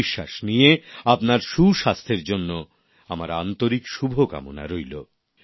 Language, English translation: Bengali, With this assurance, my best wishes for your good health